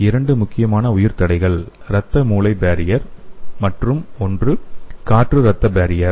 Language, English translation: Tamil, The two important bio barriers are blood brain barrier and other one is air blood barrier